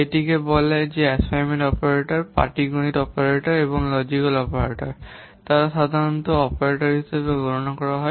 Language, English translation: Bengali, It says that assignment operators, arithmetic operators and logical operators, they are usually counted as operators